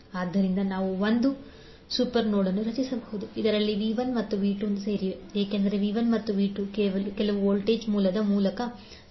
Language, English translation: Kannada, So what we can do, we can create 1 super node, which includes V 1 and V 2, because these V 1 and V 2 are connected through some voltage source